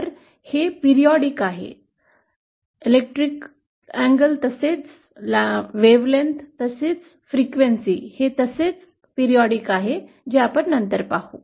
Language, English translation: Marathi, So, it is periodic, both in electrical as well as wavelength and as well as frequency as we shall see later